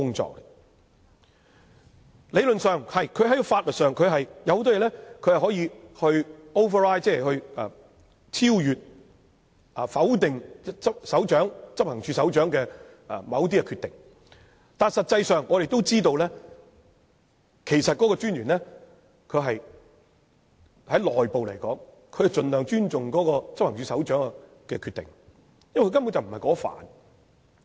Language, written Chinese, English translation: Cantonese, 在理論上和在法律上，他有很多地方可以超越、否定執行處首長的某些決定，但實際上，大家也知道，就內部而言，專員會盡量尊重執行處首長的決定，因為他根本不熟悉有關範疇。, Theoretically and legally speaking in many aspects he can overrule or override certain decisions made by the Head of Operations . But in practice as we all know internally speaking the Commissioner will respect the decisions of the Head of Operations as far as possible because he basically is not familiar with the area concerned